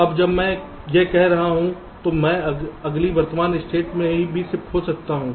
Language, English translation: Hindi, now, while i was doing this, i can shift in also the next present state: zero one, zero